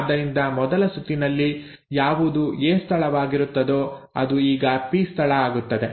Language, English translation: Kannada, So what was the A site in the first round now becomes the P site